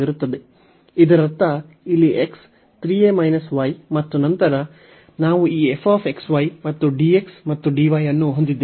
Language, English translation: Kannada, So that means, x here is 3 a minus y and then we have this f x y and dx and dy